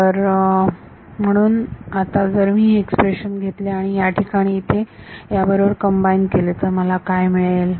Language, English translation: Marathi, So, now, if I take this expression and combine it with this over here, what do I get